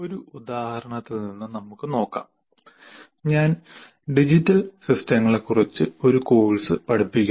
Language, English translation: Malayalam, We will see from the example if I am, let's say I am teaching a course on digital systems